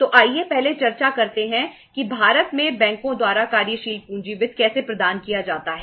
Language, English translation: Hindi, So let us see first discuss that how the working capital finance is provided by the banks in India